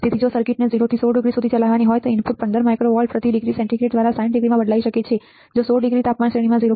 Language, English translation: Gujarati, So, if the circuit has to be operated from 0 to 16 degree the input could change by 15 micro volts per degree centigrade in to 60 degree which is 0